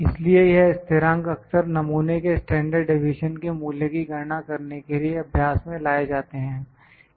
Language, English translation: Hindi, So, these constants are often used in practice to calculate the value of the standard deviation for the sample